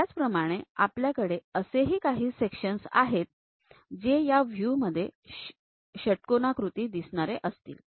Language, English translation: Marathi, Similarly, we will be having a section which looks like a hexagon in this view